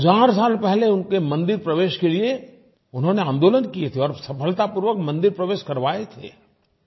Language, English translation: Hindi, A thousand years ago, he launched an agitation allowing their entry into temples and succeeded in facilitating the same